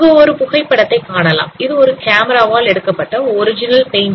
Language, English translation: Tamil, So this is the original photograph which is taken by a camera